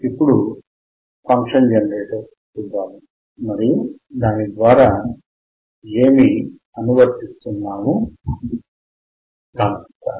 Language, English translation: Telugu, Let us see function generator and what he is applying right now